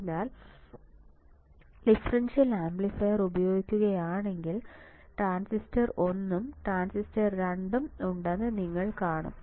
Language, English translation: Malayalam, So, if I use the differential amplifier you will see that there is a transistor one and there is a transistor 2